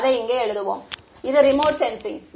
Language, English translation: Tamil, Let us just write it over here, this is remote sensing